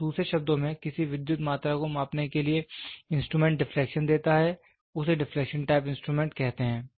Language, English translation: Hindi, In other words, the instruments in which that deflection provides the basis for measuring the electrical quantity is known as deflection type instruments